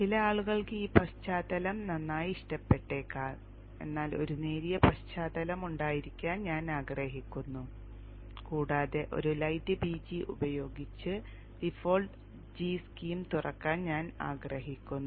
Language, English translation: Malayalam, Some people may like this background fine but I would prefer to have a light background and I would like to have the default GSM opening with light BG